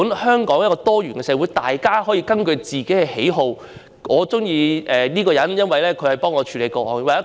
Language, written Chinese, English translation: Cantonese, 香港這個多元社會原本就是這樣，每個人都可以根據自己的喜好作出選擇。, This is what Hong Kong has been all along as a pluralistic society . Everyone can make their own choices according to their preferences